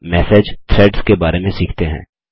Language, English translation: Hindi, Lets learn about Message Threads now